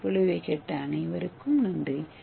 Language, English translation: Tamil, I thank you all for the listening to this lecture